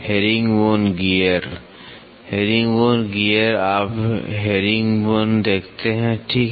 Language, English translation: Hindi, Herringbone gear; herringbone gear you see herringbone, right this